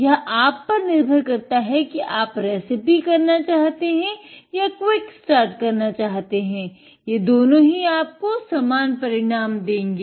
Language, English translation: Hindi, It is up to you if you do a recipe or a quick start, it gives you the same results